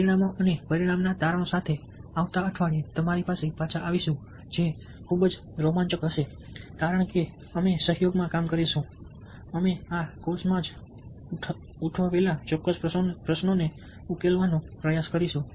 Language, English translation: Gujarati, only then we will be able to analyze the results and get back to you next week with the findings, which would be very exciting because we would be working in collaboration, trying to solve certain question that we raised in this particular ah course itself